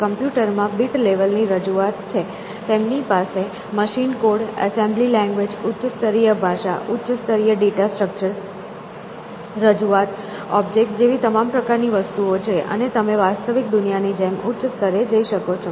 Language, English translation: Gujarati, In computers, we have bit level representation; they have machine code, assembly language, higher level languages, higher level data structures, representations, objects, all kinds of things and you keep going higher, likewise in the real world out there